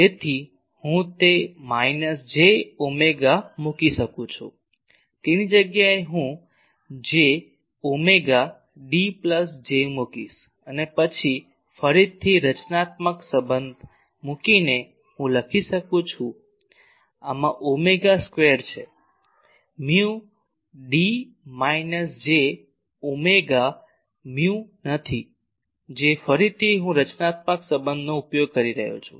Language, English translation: Gujarati, So, I can put that minus j omega mu then in place of that I will put j omega D plus J, and then again by putting the constitutive relation; I can write these has omega square, mu D minus j omega mu not J, again I am using constitutive relation